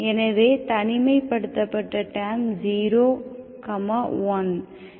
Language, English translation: Tamil, So the isolated terms are 0, 1, okay